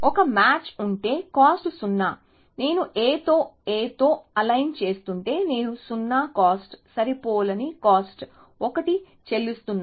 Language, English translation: Telugu, So, if there is a match, then cost is 0, so if I am aligning in A with an A, I am paying a 0 cost, mismatch cost 1